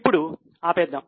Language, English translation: Telugu, Right now let us stop